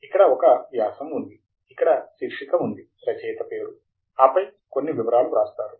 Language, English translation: Telugu, Here is an article; the title is here, the author name, and then some write up